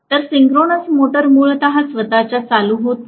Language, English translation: Marathi, So synchronous motor is not inherently self starting